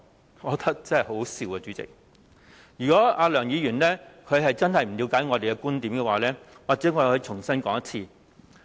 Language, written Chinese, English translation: Cantonese, 主席，我覺得很好笑，如果梁議員真的不了解我們的觀點，或許我可以重新說一次。, President this is ridiculous . If Dr LEUNG really cannot understand our viewpoint let me repeat it once again now